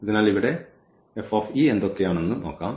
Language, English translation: Malayalam, So, here now let us do this